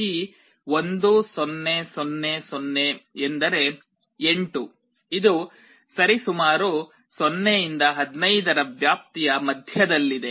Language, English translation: Kannada, This 1 0 0 0 means 8, which is approximately the middle of the range 0 to 15